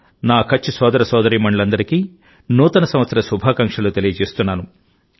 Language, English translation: Telugu, I also wish Happy New Year to all my Kutchi brothers and sisters